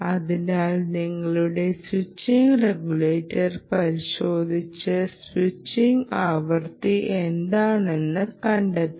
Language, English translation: Malayalam, you have to check your ah switching regulator and find out what is the frequency of a switching, switching frequency